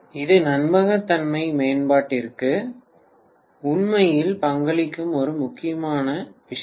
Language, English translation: Tamil, This is one major important thing which actually contributes to reliability improvement